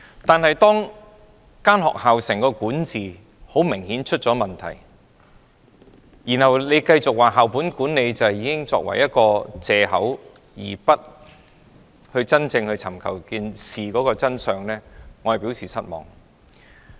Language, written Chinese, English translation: Cantonese, 但是，當整間學校的管治明顯出現問題，當局卻繼續用"校本管理"作為藉口而不尋求事件的真相，我便對此表示失望。, However when there are obviously problems with the governance of the whole school the authorities just keep using school - based management as its excuse for not pursuing the truth of the case . I am disappointed with this